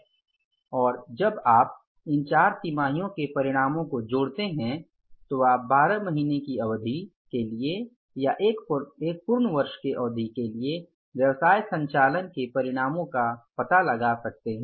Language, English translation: Hindi, And when you sum it up with the four quarters reserves when you sum up, you can find out the results of the business operations for a period of 12 months or for the one full year